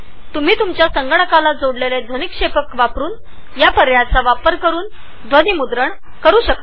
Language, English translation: Marathi, You can also record audio from the speakers attached to your computer by checking this option